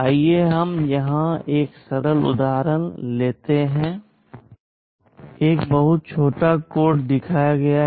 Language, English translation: Hindi, Let us take a simple example here; a very small code segment is shown